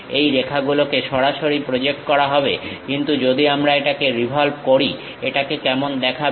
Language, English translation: Bengali, These lines will be projected straight away; but if we are revolving it, how it looks like